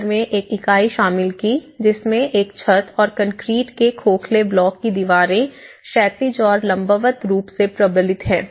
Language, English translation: Hindi, Then the house is consisted of a unit with a gabled roof and walls of made of concrete hollow blocks reinforced horizontally and vertically